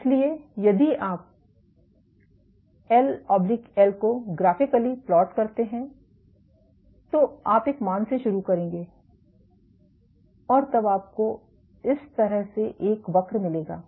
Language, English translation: Hindi, So, if you plot L / L initial, you will start from a value of one and then you will get a curve like this ok